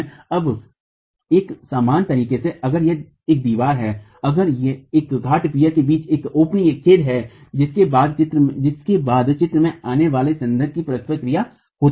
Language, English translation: Hindi, Now, in a similar manner, if it is a wall, if it is a peer between openings which then has the interaction of the spandrel coming into the picture